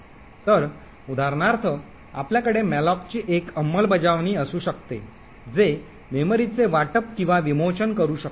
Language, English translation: Marathi, So, for instance you may have one implementation of malloc which very quickly can allocate and deallocate memory